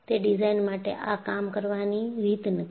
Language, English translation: Gujarati, It is not the way design works